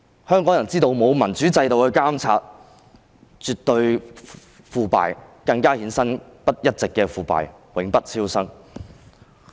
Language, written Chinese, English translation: Cantonese, 香港人知道沒有民主制度的監察是絕對的腐敗，更會一直衍生腐敗，永不超生。, Hong Kong people know that without the monitoring of a democratic system there will be absolute corruption and the corruption will even propagate itself rendering the territory beyond rescue